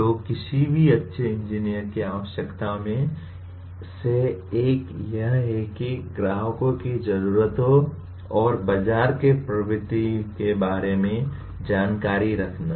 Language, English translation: Hindi, So the one of the requirements of any good engineer is that awareness of customer’s needs and market trends